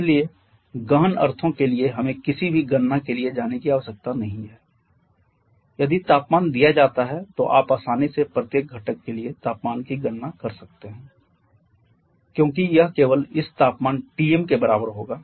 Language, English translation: Hindi, So for intensive since we do not have to go for any calculation if temperature is given then you can easily calculate the temperature for each of the Constitutes because that will be equal to this temperature Tm all